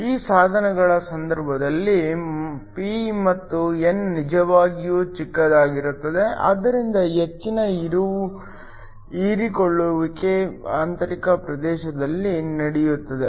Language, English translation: Kannada, In the case of these devices p and n are really short, so that most of the absorption takes place within the intrinsic region